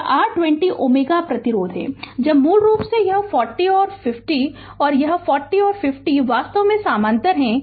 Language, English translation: Hindi, This is your 20 ohm resistance now basically this 40 and 50 this 40 and 50 actually are in parallel